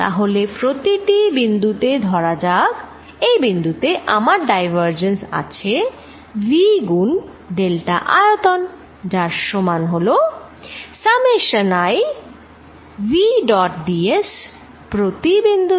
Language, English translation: Bengali, So, that at each point let us say this point at this given point I have divergence of v times delta volume is equal to summation i v dot d s through each